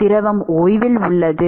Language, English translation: Tamil, fluid is at rest